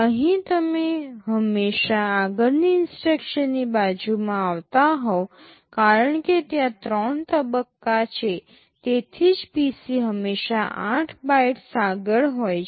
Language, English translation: Gujarati, Here you are always fetching the next to next instruction because there are three stages that is why the PC is always 8 bytes ahead